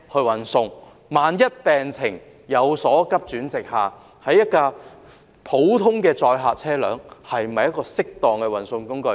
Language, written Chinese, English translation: Cantonese, 但是，萬一病情急轉直下，普通載客車輛是否適當的運送工具？, But if the condition of the patient quickly worsen are ordinary passenger vehicles a suitable means of transport?